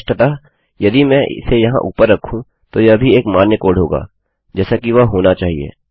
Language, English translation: Hindi, Obviously if I were to put that up here, that would also be a valid code, as would that